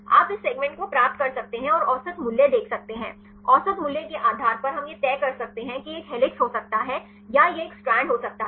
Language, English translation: Hindi, You can get this segment and see the average value, based on the average value we can decide whether this can be a helix or this can be a strand